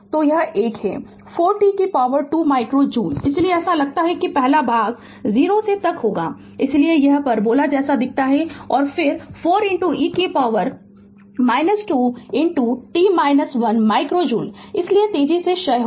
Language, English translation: Hindi, So, 1 is 4 t square micro joule so it looks first part will be up to 0 to 1, so it looks like in parabola right and then 4 into e to the power minus 2 into t minus 1 micro joule, so it is exponentially decay